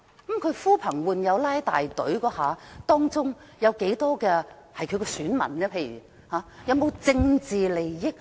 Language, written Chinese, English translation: Cantonese, 但他呼朋喚友拉大隊，當中多少人是他的選民，又有否涉及政治利益？, However among the people who participated in the protest; how many of them are his electorates and is political interest involved?